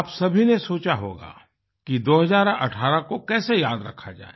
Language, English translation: Hindi, You must have wondered how to keep 2018 etched in your memory